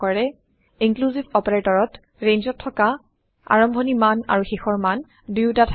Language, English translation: Assamese, Inclusive operator includes both begin and end values in a range